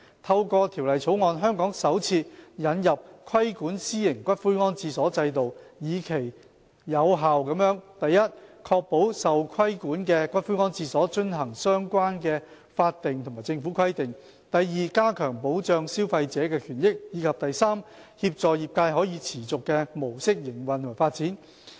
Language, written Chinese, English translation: Cantonese, 透過《條例草案》，香港首次引入規管私營骨灰安置所制度，以期有效地： a 確保受規管骨灰安置所遵行相關的法定和政府規定； b 加強保障消費者權益；及 c 協助業界以可持續的模式營運及發展。, Through the Bill we seek to introduce for the first time in Hong Kong a regulatory regime for private columbaria with a view to effectively achieving the following objectives a ensuring that columbaria brought under regulation would comply with relevant statutory and government requirements; b enhancing the protection of consumers rights and interests; and c assisting the industry to operate and develop in a sustainable mode